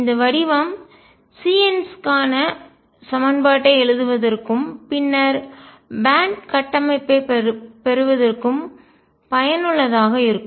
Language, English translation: Tamil, And this form is useful in writing the equation for the c ns and then from that getting the band structure